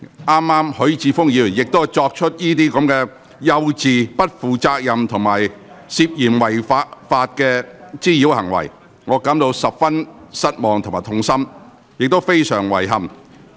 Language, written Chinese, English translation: Cantonese, 剛才許智峯議員亦作出這些幼稚、不負責任並涉嫌違法的滋擾行為，令我感到十分失望及痛心，亦非常遺憾。, I am deeply disappointed distressed and regret that Mr HUI Chi - fung has committed such a childish irresponsible and suspected illegal act of harassment just now